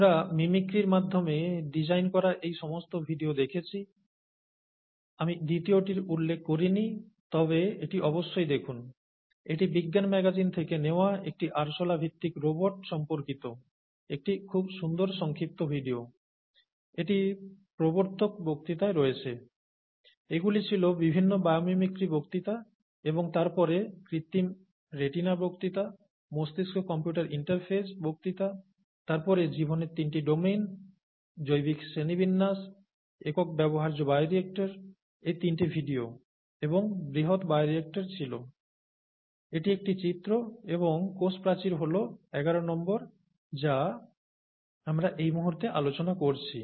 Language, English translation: Bengali, So we have seen all these videos designed through mimicry; I did not mention the second one, but please go through it, it’s a very nice short video from the science magazine about a cockroach based robot, this is in the introductory lecture, and these were the various biomimicry lectures and then the artificial retina lecture, brain computer interface lecture, and then the three domains of life, biological classification, single use bioreactor; these three were videos and the large bioreactor, this is an image, and the cell wall number eleven is what we are talking about right now